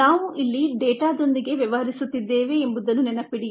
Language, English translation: Kannada, remember, we are dealing with a set of data here